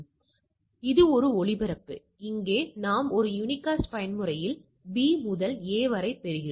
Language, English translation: Tamil, So, this is a broadcast whereas, here we get as a B to A in a unicast mode